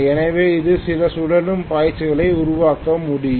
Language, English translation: Tamil, So it will be able to create some revolving flux